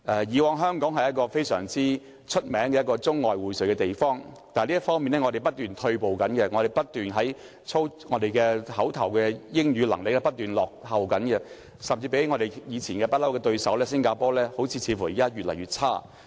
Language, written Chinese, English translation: Cantonese, 以往香港是出名的中外薈萃的地方，但我們在這方面不斷退步，我們的英語表達能力不斷落後，甚至比起一直以來的對手新加坡，似乎越來越差。, While Hong Kong used to be well - known for its integration of Chinese and foreign cultures our language proficiency is worsening . Our English presentation skill has been deteriorating . Worse still we are even lagging further behind our long - time competitor Singapore